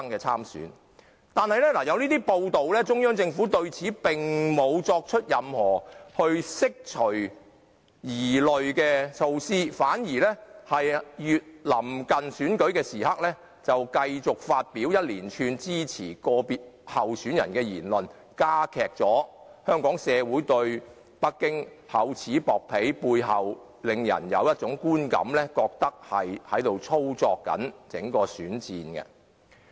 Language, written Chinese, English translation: Cantonese, 雖然有這樣的報道，中央政府卻沒有任何釋除我們疑慮的舉動，反而在臨近選舉的時刻，繼續發表連串支持個別候選人的言論，加劇香港社會對北京厚此薄彼的感覺，令人感到北京一直在操縱整個選戰。, Despite such reports the Central Government did nothing to dispel our suspicion . On the contrary as the Election Day is getting near it continues to make comments supporting a certain candidate . As such Hong Kong people have a stronger feeling of Beijing favouring a certain candidate and manipulating the whole election